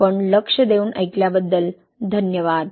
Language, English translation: Marathi, That, thank you for your attention